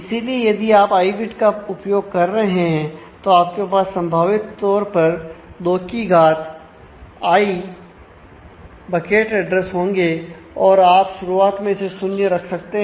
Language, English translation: Hindi, And so, therefore, if you are using i bits then the bucket address table the possible you know bucket addresses that you could have is 2 to the power i initially you keep that as 0